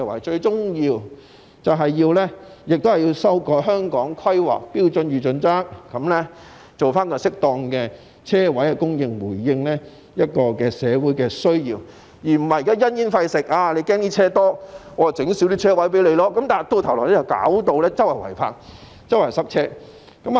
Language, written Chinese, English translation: Cantonese, 最終政府也要修改《香港規劃標準與準則》，確保有適當的車位供應，回應社會的需要，而不是因噎廢食，擔心汽車過多而減少提供泊車位，否則只會導致四處都是違泊車輛和交通擠塞。, Ultimately the Government should revise the Hong Kong Planning Standards and Guidelines to ensure an appropriate supply of parking spaces to meet the needs of the community . We should not reduce the supply of parking spaces for fear of an excessive growth in the number of vehicles just like throwing away the apple because of the core or else illegally parked vehicles and traffic congestion would be seen everywhere